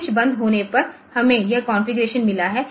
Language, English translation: Hindi, So, this is when the switch is close so say this configuration